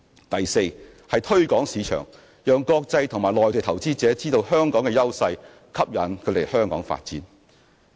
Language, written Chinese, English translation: Cantonese, 第四，推廣市場，讓國際及內地投資者知道香港的優勢，吸引他們來港發展。, Fourthly market promotion would be needed to keep international and Mainland investors informed of our competitive edge and induce them to come and develop in Hong Kong